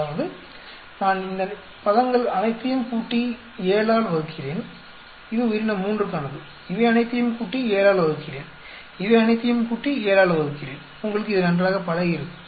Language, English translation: Tamil, That means, I am adding up all these terms and dividing by 7 and this is for the organism 3, I am adding up all these, dividing by 7, adding up all these dividing by 7, you got the hang of it